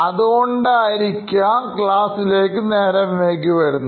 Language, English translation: Malayalam, He was a regular at coming late to class